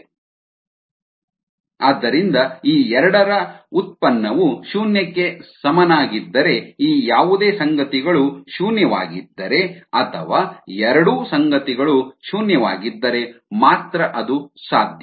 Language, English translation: Kannada, so if the product of these two terms equals zero, then that is possible only if any of these terms is zero or if both the terms are zero, right